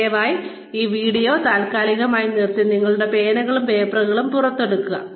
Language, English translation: Malayalam, Please, pause this video, and take out your pens and papers